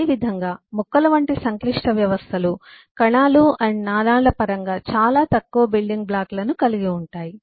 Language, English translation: Telugu, similarly, such complex systems as plants has very few building blocks, fundamentally in terms of vessels and so on